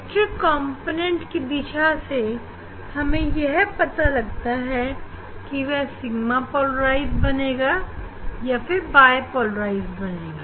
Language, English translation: Hindi, depending on the direction of the electric component this stuff becomes sigma polarized or it become bipolarized